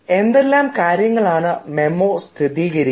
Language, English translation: Malayalam, now, what do memos confirm